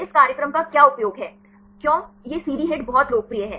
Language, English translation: Hindi, What is the use of this program, why this CD hit is very popular